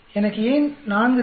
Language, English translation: Tamil, Why do I need to 4